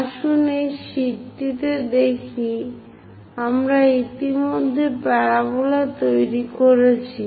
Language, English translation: Bengali, Let us look at this sheet; we have already constructed the parabola this one